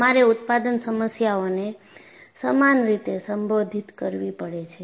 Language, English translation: Gujarati, So, you will have to equally address the manufacturing issues